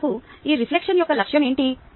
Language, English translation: Telugu, what is the goal of all this reflection